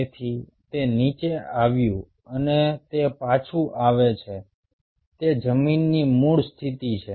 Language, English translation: Gujarati, so it came down and it comes back to its ground, original position